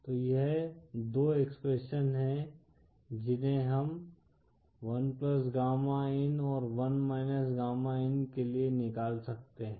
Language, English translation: Hindi, So this is the 2 expressions that we can find for 1+ gamma in & 1 gamma in